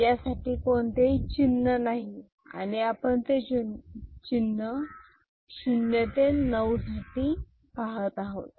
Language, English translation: Marathi, There is no symbol for that and we are looking at symbol which is 0 to 9